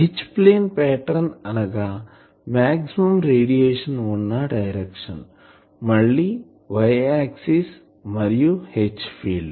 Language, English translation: Telugu, H plane pattern means the direction of maximum radiation, again that y axis and the H field